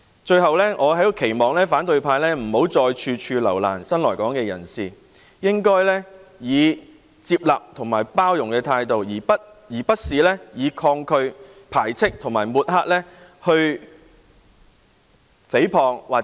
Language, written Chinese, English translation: Cantonese, 最後，我在此期望反對派不要再處處留難新來港人士，應該以接納及包容的態度，而不是以抗拒、排斥和抹黑的態度來誹謗，或把責任諉過於人。, Lastly here I expect the opposition to no longer make everything difficult for new arrivals . They should adopt a receptive and tolerant attitude instead of a resistant repulsive and smearing attitude with which they fabricate slanders or put the blame on others for their failure to fulfil responsibilities